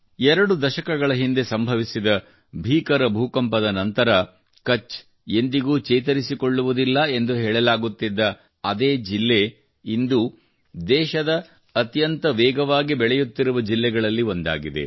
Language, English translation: Kannada, Kutch, was once termed as never to be able to recover after the devastating earthquake two decades ago… Today, the same district is one of the fastest growing districts of the country